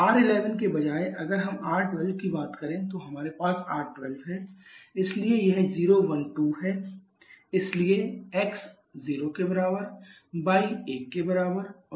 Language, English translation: Hindi, Instead of R11 if we talk about R12, so we are having R12 so it is 012 so x = 0, y = 1 and z = 2